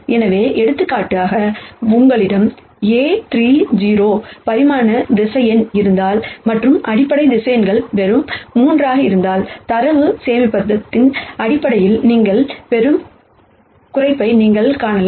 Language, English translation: Tamil, So, for example, if you have a 30 dimensional vector and the basis vectors are just 3, then you can see the kind of reduction that you will get in terms of data storage